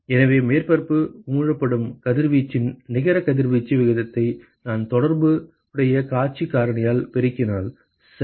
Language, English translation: Tamil, So, that is the net radiation rate of radiation emitted by surface i multiplied by the corresponding view factor alright